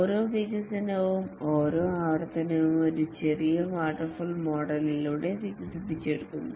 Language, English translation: Malayalam, And each iteration is developed through a mini waterfall model